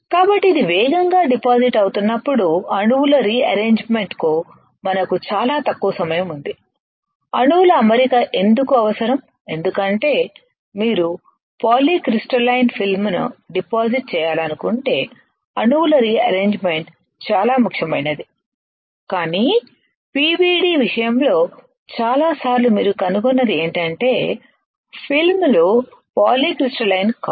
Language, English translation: Telugu, So, when it is depositing rapidly we have very little time for the rearrangement of the atoms why the arrangement of atoms is required, because if you want to deposit a polycrystalline film then the rearrangement of atoms are extremely important, but in case of PVD most of the time what you find is the films is not polycrystalline